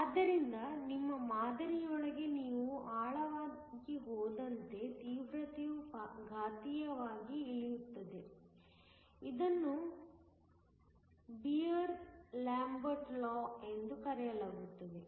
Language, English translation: Kannada, So, the intensity drops exponentially as you go deeper within your sample, this is called the Beer Lambert law